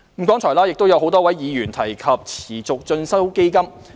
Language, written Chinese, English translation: Cantonese, 剛才亦有多位議員提及持續進修基金。, A number of Members have mentioned the Continuing Education Fund CEF just now